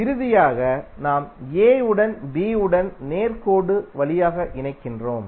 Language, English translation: Tamil, Finally we are connecting a with to b through straight line